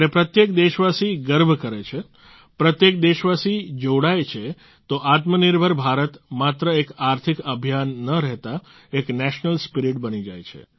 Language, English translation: Gujarati, When every countryman takes pride, every countryman connects; selfreliant India doesn't remain just an economic campaign but becomes a national spirit